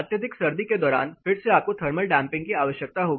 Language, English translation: Hindi, Again during extreme winter you will require thermal damping